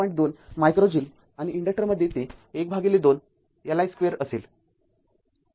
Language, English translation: Marathi, 2 micro joules right and that in the inductor will be your half L i square